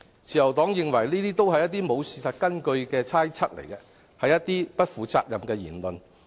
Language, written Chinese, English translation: Cantonese, 自由黨認為這些都是欠缺事實根據的猜測，是不負責的言論。, The Liberal Party holds that these are all groundless speculations made irresponsibly